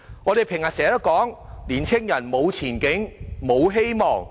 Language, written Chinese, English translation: Cantonese, 我們經常說，年青人無前景、無希望。, We have this pet phrase of youngsters having neither prospect nor hope